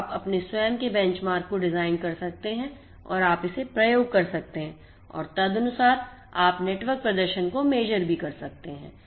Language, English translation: Hindi, So, you can design your own benchmark and you can experiment it so and accordingly you can measure the network performance